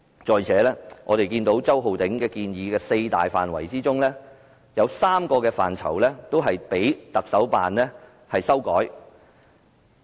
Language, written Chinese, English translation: Cantonese, 再者，在周浩鼎議員建議的四大範疇之中，有3個範疇被特首辦修改。, In addition among the four major areas of study proposed by Mr Holden CHOW three areas have been amended by the Chief Executives Office